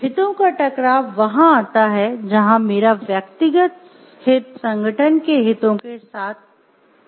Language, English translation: Hindi, Conflict of interest comes in where my personal interest is in conflict with the interest of the organization